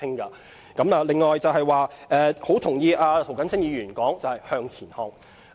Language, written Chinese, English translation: Cantonese, 此外，我同意涂謹申議員說要向前看。, Moreover I agree with Mr James TO that we should look ahead